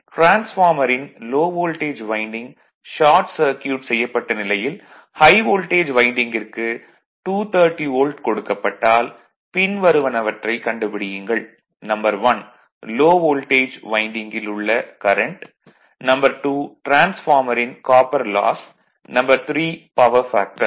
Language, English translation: Tamil, If the high voltage winding is supplied at 230 volt with low voltage winding short circuited right, find the current in the low voltage winding, copper loss in the transformer and power factor